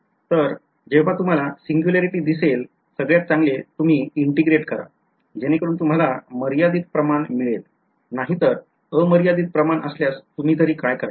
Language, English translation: Marathi, So, when you see a singularity, the best thing is to integrate, so that you get a finite quantity otherwise what do you do with a infinity setting there right